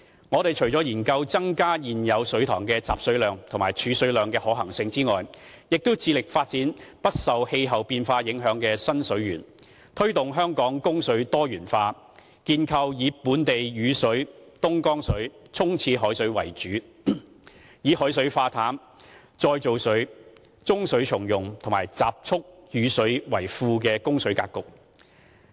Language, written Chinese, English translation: Cantonese, 我們除了研究增加現有水塘的集水量和儲水量的可行性外，亦致力發展不受氣候變化影響的新水源，推動香港供水多元化，建構以本地雨水、東江水、沖廁海水為主，並以海水化淡、再造水、中水重用和集蓄雨水為副的供水格局。, Apart from studying the feasibility of increasing the yield and storage of our existing reservoirs we are making an effort to develop new water resources that are not susceptible to climate change to promote multiple sources of water supply in Hong Kong and to create a new water supply framework which comprises the primary water sources of local rainfall Dongjiang water and seawater for toilet flushing as well as various ancillary water sources including desalination reclaimed water grey water reuse and rainwater harvesting